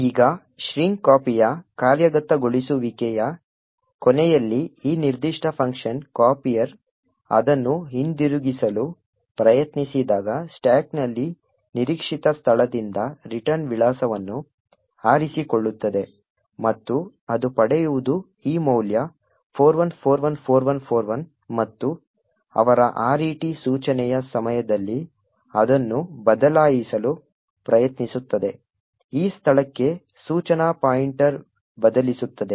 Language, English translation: Kannada, Now at the end of execution of string copy when this particular function copier tries to return it picks the return address from the expected location on the stack that what it would obtain is this value 41414141 and during their RET instruction that copier executes it tries to change the instruction pointer to this location